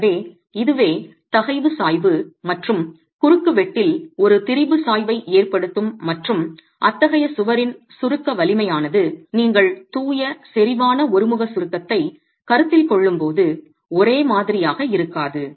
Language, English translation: Tamil, So, this itself can cause a stress gradient and a strain gradient in the cross section and the compressive strength of such a wall is not going to be the same as when you are considering pure concentric uniaxial compression